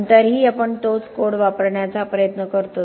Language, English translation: Marathi, But still we try to use the same code